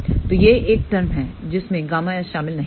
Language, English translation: Hindi, So, this is the one term which does not contain gamma s